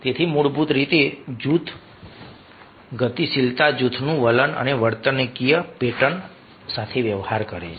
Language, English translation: Gujarati, so basically, group dynamics deals with the attitudes and behavioral pattern of a group